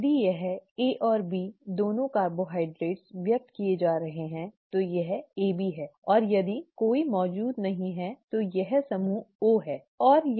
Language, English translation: Hindi, If it is both A and B carbohydrates being expressed, it is AB and if none are present it is group O, okay